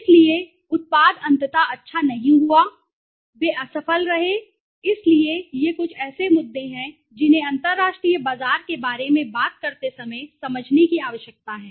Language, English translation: Hindi, So, the product ultimately did not do well they failed right, so these are some of the issues which one needs to understand when they talk about the international market